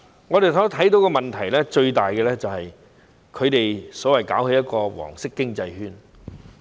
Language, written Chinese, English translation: Cantonese, 我們看到的最大問題是，他們搞一個所謂"黃色經濟圈"。, The biggest problem we see is their creation of a so - called yellow economic circle